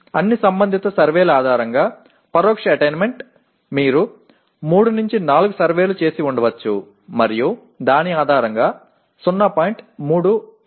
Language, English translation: Telugu, Indirect attainment based on all relevant surveys, maybe you have done 3 4 surveys and based on that is 0